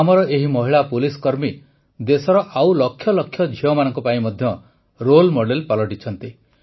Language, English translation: Odia, These policewomen of ours are also becoming role models for lakhs of other daughters of the country